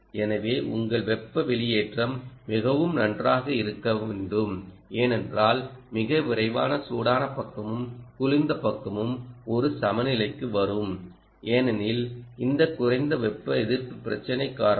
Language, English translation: Tamil, so you are, heat sinking should be very good because very soon the hot side and the cold side, we will come into an equilibrium because of this lower thermal resistance problem